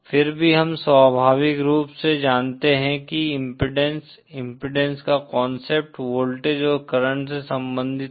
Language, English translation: Hindi, Yet we inherently know that, impedance, the concept of impedance is related to voltage and current